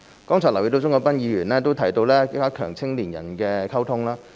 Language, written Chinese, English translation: Cantonese, 剛才留意到鍾國斌議員提到加強與青年人的溝通。, Just now I noted that Mr CHUNG Kwok - pan mentioned strengthening communication with young people